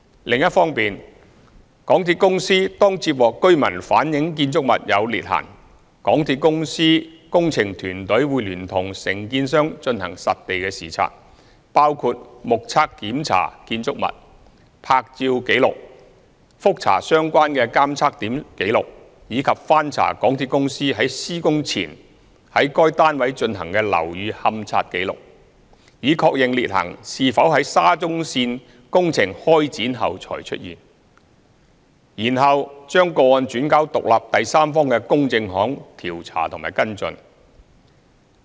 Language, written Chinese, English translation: Cantonese, 另一方面，當港鐵公司接獲居民反映建築物有裂痕時，港鐵公司工程團隊會聯同承建商進行實地視察，包括目測檢查建築物、拍照紀錄、覆查相關的監測點紀錄，以及翻查港鐵公司於施工前於該單位進行的樓宇勘察紀錄，以確認裂痕是否在沙中線工程開展後才出現，然後將個案轉交獨立第三方的公證行調查及跟進。, On the other hand upon receiving reports of cracks in buildings from residents MTRCLs project team will conduct site inspections along with staff of its contractors which include visual inspections of building making photographic records reviewing the records of the relevant monitoring points and checking up the records of the building condition surveys of the relevant units carried out by MTRCL prior to construction to ascertain whether those cracks have appeared after the commencement of the SCL Project before referring those cases to a loss adjuster an independent third party for investigation and follow - up